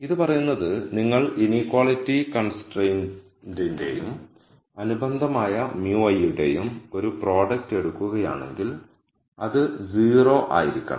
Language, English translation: Malayalam, So, what this says is if you take a product of the inequality constraint and the corresponding mu i then that has to be 0